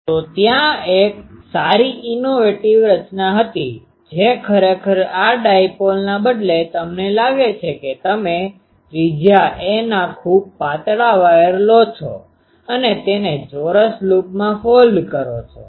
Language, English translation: Gujarati, So, there was a good innovative design that instead of a dipole actually this dipole, you think that you take a very thin wire of radius “a” and fold it in a square loop